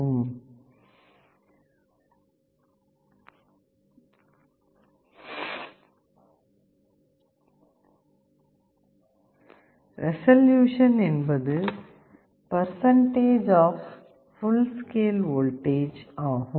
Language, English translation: Tamil, Resolution can also be defined as a percentage of the full scale voltage